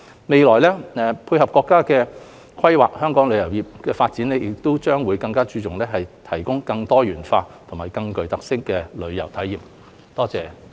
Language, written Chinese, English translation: Cantonese, 未來，配合國家規劃，香港的旅遊業發展亦將更着重於提供更多元化及更具特色的旅遊體驗。, In the future complementing the planning of our country the tourism development of Hong Kong will also enhance focus on providing more diversified and themed travel experiences